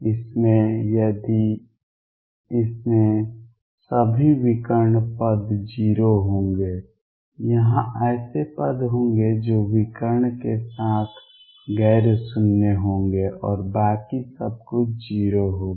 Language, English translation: Hindi, It would have all of diagonal term 0 there will be terms here which will be nonzero along the diagonal and everything else would be 0